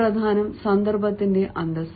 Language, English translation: Malayalam, what is important is the dignity of the occasion